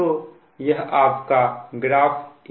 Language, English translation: Hindi, so this is your graph a